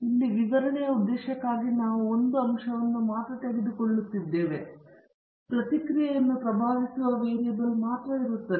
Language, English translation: Kannada, Here, for the purpose of illustration, I am just taking a case where there is only one factor or variable influencing the response